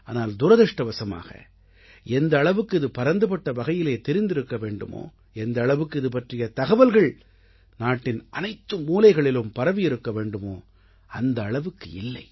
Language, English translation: Tamil, But unfortunately, the extent to which this should have been publicized, the extent to which this information should have been disseminated to every corner of the country, it isn't done